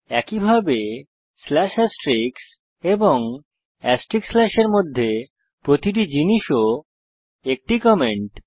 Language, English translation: Bengali, Similarly every thing that is in between slash Astrix , and Astrix slash is also a comment So let us remove this comments also